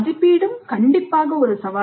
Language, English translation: Tamil, And assessment is also a challenge